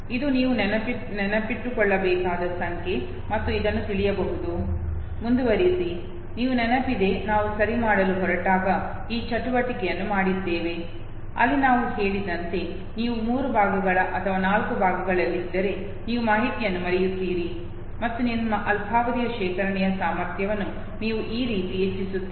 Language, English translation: Kannada, This is the number that you have to memorize and this might know, continue, you remember we have done this exercise when we were going to chunking okay, where we said, that you break the information if the chunks of three or in the chunks of four, and this is how you enhance the capability of your short term storage